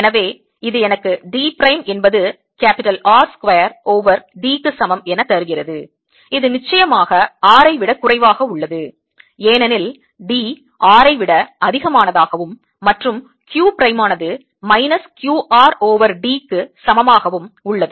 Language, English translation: Tamil, so this gives me d prime equals r square over d, which is certainly less than r because d is greater than r, and q prime equals minus q r over d